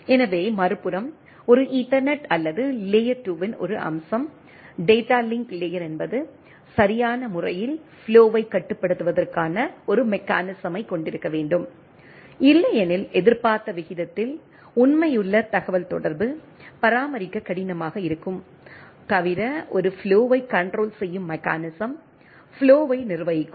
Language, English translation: Tamil, So, on the other hand so, one aspects of a ethernet or layer 2, the data link layer is to have a mechanism for flow control right otherwise, faithful communication at expected rate etcetera, will be difficult to maintain unless, there is a flow control mechanism which manages the flow